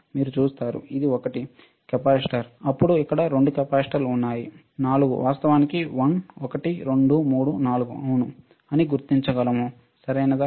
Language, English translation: Telugu, You see, this one, capacitor, then there are 2 capacitors here 4 actually 1 2 3 4 can identify yes, all right